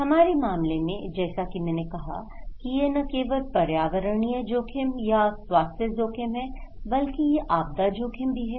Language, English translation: Hindi, In our case, as I said it’s not only environmental risk or health risk, it’s also disaster risk